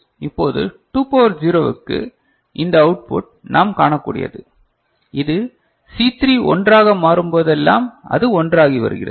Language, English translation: Tamil, Now, for 2 to the power 0, this output, what we can see, this is if C3 is 1 if C3 is 1, this is 1